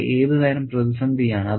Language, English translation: Malayalam, What sort of conflict is it